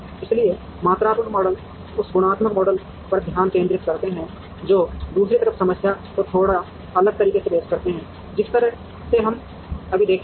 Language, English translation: Hindi, So, quantitative models concentrate on that qualitative models on the other hand approach the problem in a slightly different, way which we will see right now